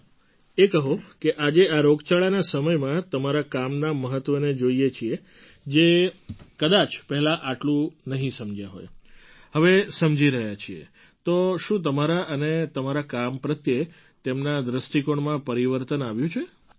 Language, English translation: Gujarati, Okay, tell us…today, during these pandemic times when people are noticing the importance of your work, which perhaps they didn't realise earlier…has it led to a change in the way they view you and your work